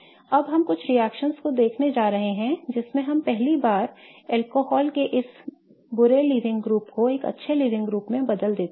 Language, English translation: Hindi, Now we are going to look at a couple of reactions wherein we first convert this bad living group of alcohols to a good living group